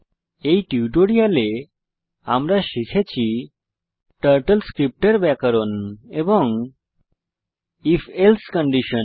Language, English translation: Bengali, In this tutorial, we have learnt about Grammar of Turtle script and if else condition Now to the assignment part